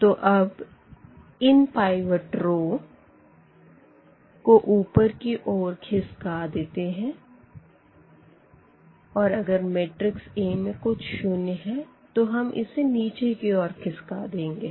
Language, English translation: Hindi, So, here we have taken these pivot rows to the to the up and then if something is 0 here in our matrix A that we have brought down to this bottom of the matrix